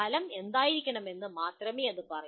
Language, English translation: Malayalam, It only says what should be the outcome